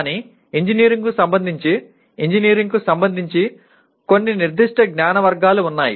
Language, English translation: Telugu, But there are some specific categories of knowledge with respect to engineering, specific to engineering